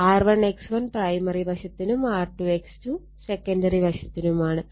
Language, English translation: Malayalam, R 1 X 1 for primary side, R 2 X 2 for secondary side